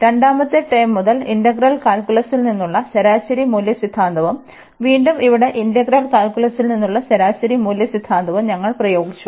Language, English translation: Malayalam, From the second term, we have applied the mean value theorem from integral calculus and again here as well the mean value theorem from integral calculus